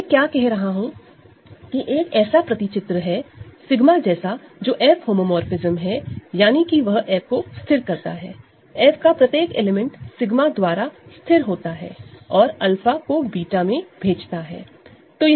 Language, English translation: Hindi, So, what I am now saying is that there is a map like this sigma which is an F homomorphism that means, it fixes F every element of F is fixed by sigma and it sends alpha to beta